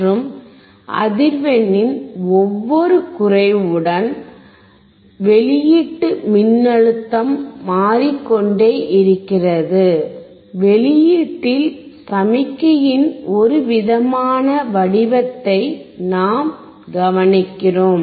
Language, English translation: Tamil, And with each decrease of frequency, we will or a step of frequency, we will see this output voltage which keeps changing, and you will see what kind of signal or what kind of the shape of signal we observe at the output